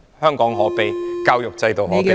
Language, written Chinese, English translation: Cantonese, 香港可悲......教育制度可悲。, How miserable is Hong Kong How miserable is the education system